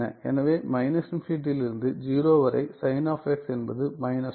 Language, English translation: Tamil, So, from negative infinity to 0 sign of x is minus 1